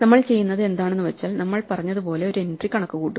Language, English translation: Malayalam, So what we are doing is, when we compute as we said one entry